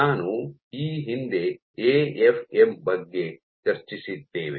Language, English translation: Kannada, So, we had previously discussed about AFM